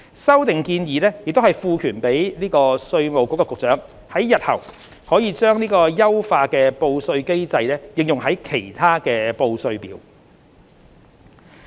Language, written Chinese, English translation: Cantonese, 修訂建議也賦權稅務局局長在日後把優化的報稅機制應用於其他報稅表。, The proposed amendments will also empower the Commissioner of Inland Revenue to apply the enhanced filing mechanism to other tax returns in the future